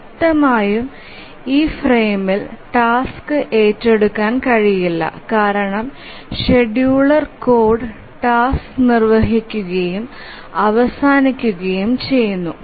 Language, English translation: Malayalam, Obviously the task cannot be taken up during this frame because if you remember the scheduler code that it just executes the task and then the scheduler ends